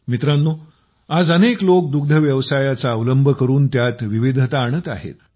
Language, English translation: Marathi, Friends, today there are many people who are diversifying by adopting dairy